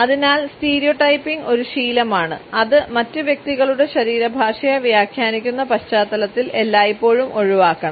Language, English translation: Malayalam, Therefore, a stereotyping is a habit should always be avoided in the context of interpreting the body language of other interactants